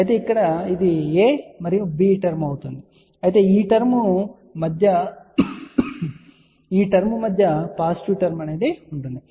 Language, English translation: Telugu, Whereas, over here it will be a and b term but in between the term will be positive term